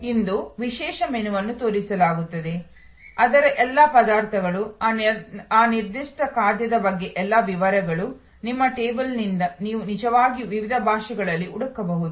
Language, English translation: Kannada, Today special menu will be shown, all the ingredients of that, all the details about that particular dish, you can actually search in various languages from your table